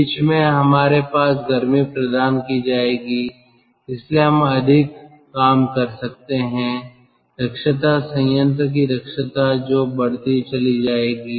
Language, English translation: Hindi, in between we will have heating so we can extract more work efficiency, plant efficiency